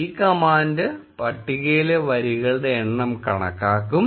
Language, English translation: Malayalam, This command will count the number of rows in the table